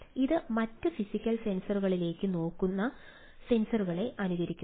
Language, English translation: Malayalam, it it emulates the sensors looking at different other physical sensors